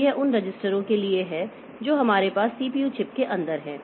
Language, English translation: Hindi, So, this is for the registers that we have inside the CPU chip